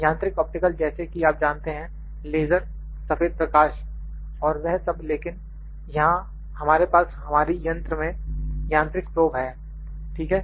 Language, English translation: Hindi, Mechanical optical is like you know laser white light all those in a, but so, we have here in our machine is the mechanical probe, ok